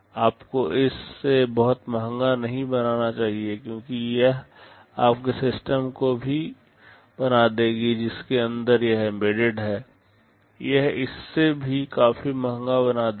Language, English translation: Hindi, You should not make it too expensive because that will also make your system inside which it is embedded, it will make that also quite expensive